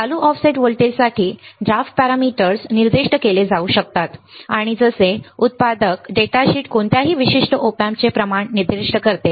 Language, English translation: Marathi, The drift parameters can be specified for the bias current offset voltage and the like the manufacturers datasheet specifies the quantity of any particular Op Amp